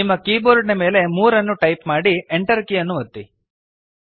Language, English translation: Kannada, Type 3 on your keyboard and hit the enter key